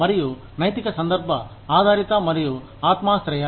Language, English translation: Telugu, And moralities, context dependent, and subjective